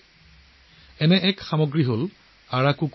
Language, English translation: Assamese, One such product is Araku coffee